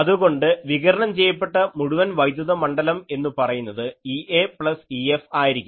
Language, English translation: Malayalam, So, total electric field radiated will be E A plus E F